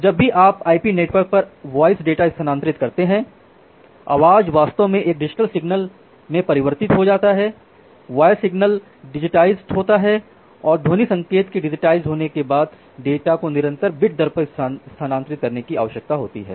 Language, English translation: Hindi, So, whenever you are transferring the voice data over the IP network, the voice is actually converted to a digital signal, the voice signal is digitized and after digitizing the voice signal that data need to be transferred at a constant bit rate